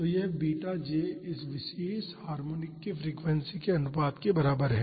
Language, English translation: Hindi, So, this beta j is equivalent to the frequency ratio for this particular harmonic